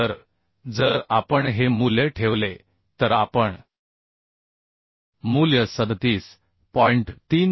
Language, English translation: Marathi, 8 right So if we put this value we can find out the value as 37